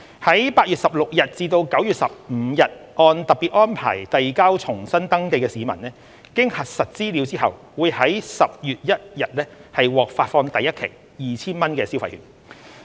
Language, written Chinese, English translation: Cantonese, 在8月16日至9月15日按特別安排遞交重新登記的市民，經核實資格後會於10月1日獲發放第一期 2,000 元消費券。, Those who made use of the special arrangements to resubmit their registrations between 16 August and 15 September will receive the first voucher of 2,000 on 1 October upon confirmation of eligibility